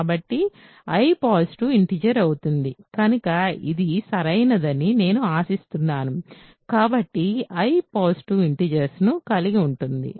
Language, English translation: Telugu, So, I contains positive integers so, that I hope is clear right; so, I contains positive integers